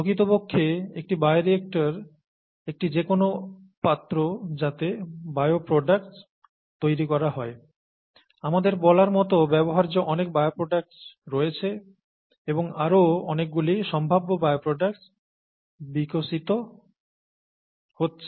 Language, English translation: Bengali, In fact, a bioreactor is a vessel, any vessel in which bioproducts are made, and there are so many bioproducts of use as we speak and there are many more potential bioproducts being developed